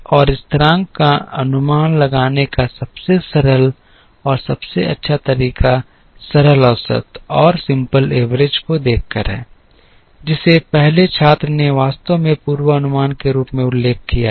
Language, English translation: Hindi, So, the simplest and the best way to estimate the constant is by looking at the simple average, which the first student actually mentioned as the forecast